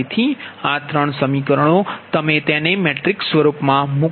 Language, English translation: Gujarati, so these three equations, you put it in matrix form